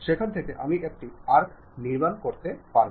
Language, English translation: Bengali, From there, I would like to really construct an arc